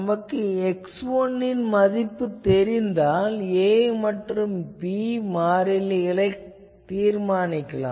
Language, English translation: Tamil, So, see that once I can find x 1, a b can be determined